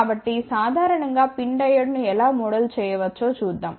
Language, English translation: Telugu, So, let us see how we can model the PIN Diode in general